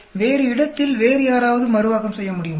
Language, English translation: Tamil, Somebody else in a different location is able to reproduce